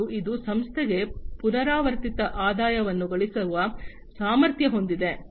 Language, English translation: Kannada, And it is also capable of generating recurrent revenues for the organization